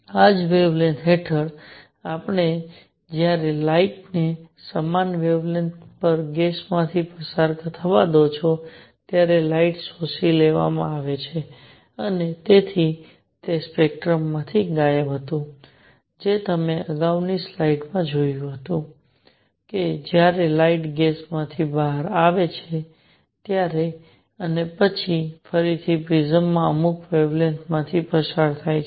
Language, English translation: Gujarati, Under the same wavelengths, when you let up light pass through gas at the same wavelengths, the light is absorbed and therefore, that was missing from the spectrum as you saw in the previous slide that when the light was passed through gas and then again pass through prism certain wavelengths